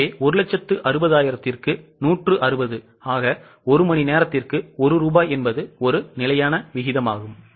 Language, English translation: Tamil, So, 160 upon 160, that means rupee 1 per hour is a standard rate